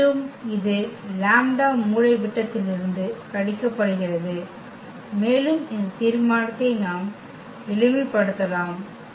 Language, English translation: Tamil, So, again this lambda is subtracted from the diagonal and we can simplify this determinant